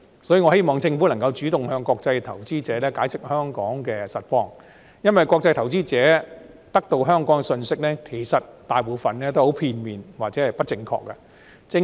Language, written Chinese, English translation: Cantonese, 所以，我希望政府能夠主動向國際投資者解釋香港的實況，因為國際投資者得到有關香港的信息，其實大部分都很片面或者不正確。, This situation is concerning . Therefore I hope that the Government will proactively explain to international investors the real situation in Hong Kong considering that most of the information they receive about Hong Kong is actually very one - sided or incorrect